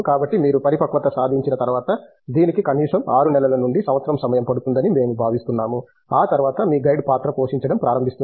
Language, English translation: Telugu, So, once you gain that maturity which we feel would take at least 6 months to a year, after that your guide starts playing a role